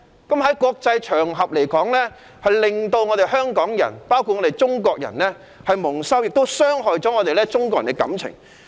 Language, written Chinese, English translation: Cantonese, 在國際場合發生這種事，令香港人以至中國人蒙羞，亦傷害中國人的感情。, The occurrence of such an incident in an international event not only disgraces Hong Kong people and Chinese people at large but also hurts the feelings of Chinese people